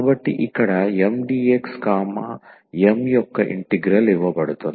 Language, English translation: Telugu, So, here the integral of Mdx, M is given